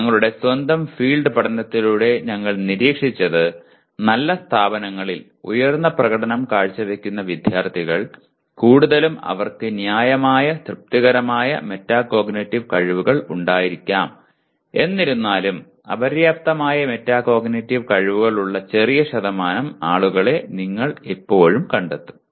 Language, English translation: Malayalam, What we observed through our own field study is that high performing students in good institutions, mostly they have possibly reasonably satisfactory metacognitive skills though you will still find small percentage of people with inadequate metacognitive skills